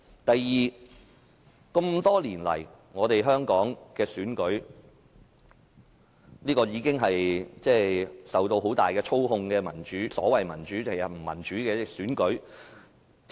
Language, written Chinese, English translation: Cantonese, 第二，這麼多年來，香港的選舉一直是受到很大操控的所謂民主但實質不民主的選舉。, Second over the years elections in Hong Kong have been the so - called democratic yet de facto undemocratic elections subjected to great manipulation